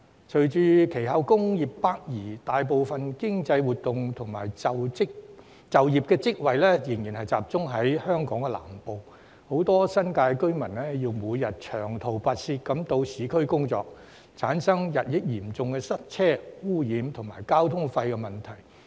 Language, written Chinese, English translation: Cantonese, 隨後工業北移，大部分經濟活動及就業職位仍然集中在香港南部，很多新界居民要每天長途跋涉到市區工作，產生日益嚴重的塞車、污染及交通費問題。, While some industries had relocated to the north most of the economic activities and job opportunities still concentrated in southern Hong Kong . Many New Territories residents have to travel long way to work in the urban areas every day creating increasingly serious problems of traffic congestion pollution and high transport costs